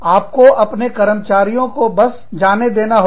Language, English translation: Hindi, You just have to let go, of your employees